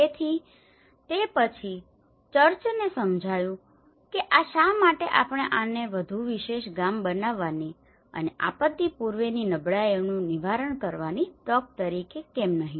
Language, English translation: Gujarati, So, after that, the church have realized that why not we take this as an opportunity to build a more special village and to also address the pre disaster vulnerabilities